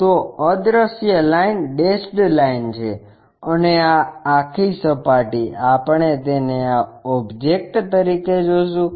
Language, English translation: Gujarati, So, invisible line is dashed line and this entire surface we will see it as this object